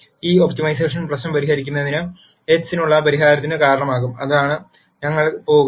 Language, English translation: Malayalam, Solving this optimization problem will result in a solution for x, which is what we are going for